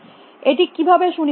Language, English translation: Bengali, How does it guarantee